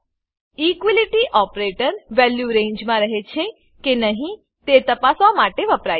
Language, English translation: Gujarati, Equality operator is used to check whether a value lies in the range